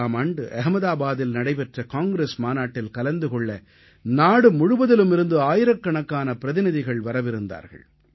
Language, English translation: Tamil, In 1921, in the Congress Session in Ahmedabad, thousands of delegates from across the country were slated to participate